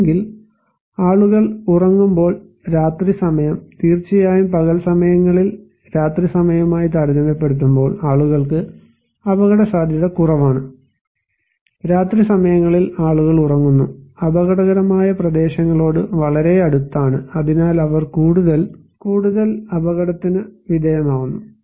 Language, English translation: Malayalam, Or maybe night time when people are sleeping so, at day time of course, we have less people are exposed to hazards compared to night time, at night time people are sleeping and which are very close to hazardous areas, so they are more exposed to these hazards